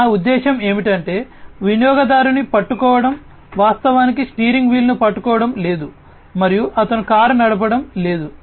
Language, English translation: Telugu, I mean not actually holding the user is not actually holding the steering wheel and he is not driving the car